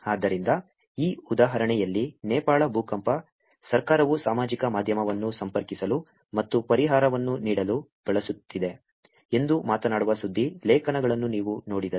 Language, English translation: Kannada, So in this example, if you see news articles which came of talking about ‘Nepal earthquake: Government using social media to connect and provide relief’